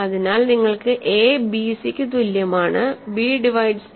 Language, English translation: Malayalam, So, you have a is equal to bc is given, b also divides a